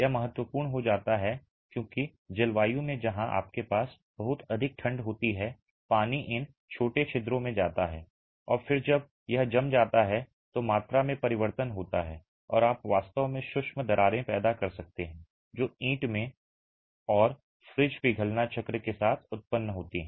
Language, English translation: Hindi, This becomes important because in climates where you have very cold, very low freezing temperatures, water gets into these small pores and then when it freezes there is change of volume and you can actually have micro cracks that are generated in the brick and with freeze thaw cycles in freeze thaw cycles you will have brick deterioration progressing from day one